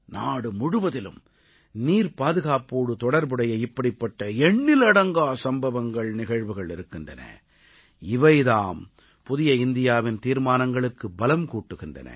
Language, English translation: Tamil, The country is replete with innumerable such stories, of water conservation, lending more strength to the resolves of New India